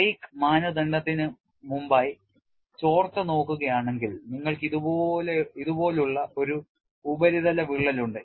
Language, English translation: Malayalam, And if you look at the leak before break criterion, you have a surface crack like this